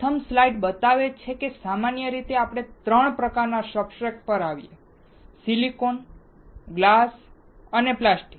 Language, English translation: Gujarati, The first slide shows that generally we come across 3 kind of substrates: silicon, glass and plastic